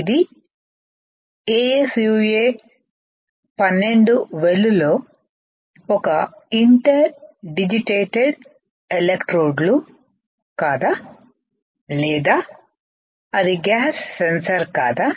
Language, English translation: Telugu, Whether it is an interdigitated electrodes within ASUA12 well or whether it is a gas sensor right